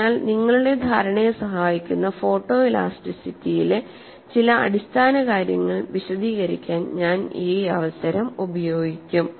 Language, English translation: Malayalam, So, I will use this opportunity to explain certain fundamentals of photo elasticity that would aid your understanding